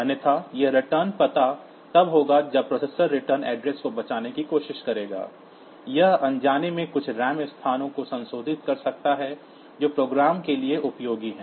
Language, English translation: Hindi, Otherwise, this return address will be when the processor will try to save the return address, it may inadvertently modify some of the RAM locations which are useful for the program